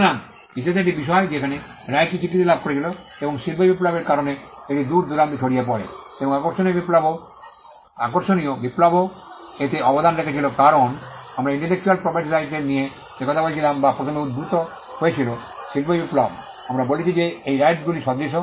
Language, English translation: Bengali, So, that was a point in history where the right became recognized and because of the industrial revolution it spread far and wide and the interesting revolution also contributed to it because, all the things that we were talking about intellectual property Rights or first emanated in the industrial revolution